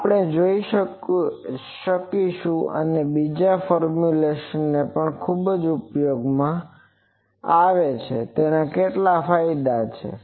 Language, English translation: Gujarati, So, this we will see that another formulation is also very much used and that has certain advantages